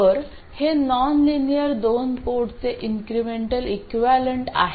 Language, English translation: Marathi, So, this is the incremental equivalent of a nonlinear 2 port